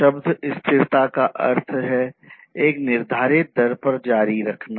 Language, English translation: Hindi, So, the term sustainability means to continue at a fixed rate